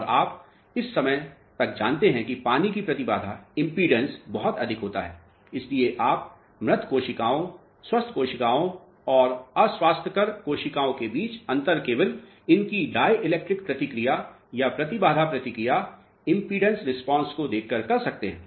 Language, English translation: Hindi, And you know by this time that the impedance of water will be very high, so you can distinguish between the dead cells, healthy cells and unhealthy cells just by looking at their dielectric response or the impedance response you got the point